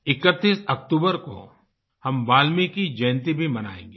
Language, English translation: Hindi, On the 31st of October we will also celebrate 'Valmiki Jayanti'